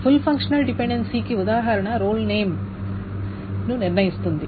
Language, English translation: Telugu, So an example of full functional dependency may be role determines name